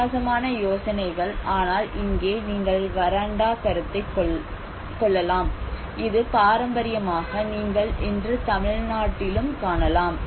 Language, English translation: Tamil, So different ideas but here you can see the veranda concept which is this traditionally you can find today in Tamil Nadu as well